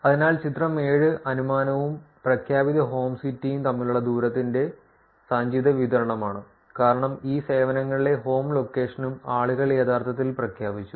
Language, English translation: Malayalam, So, here figure 7 is cumulative distribution of distances between inferred and the declared home city, which is that because people actually declared that what the home location in these services also